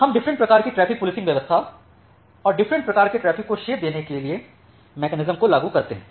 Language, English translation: Hindi, So, we apply different kind of traffic policing and different type of traffic shaping mechanism